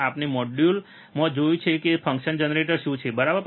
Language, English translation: Gujarati, We have seen in the last modules what is function generator, right